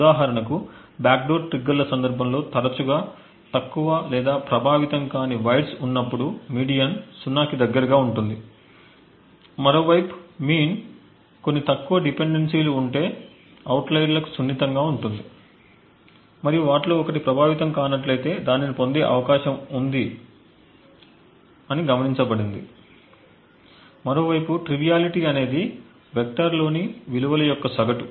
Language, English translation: Telugu, For example the median in the context of a backdoor triggers is often close to zero when low or unaffecting wires are present, the mean on the other hand is sensitive to outliers if there are few dependencies and one of them is unaffecting it is likely to get noticed, a triviality on the other hand is a weighted average of the values in the vector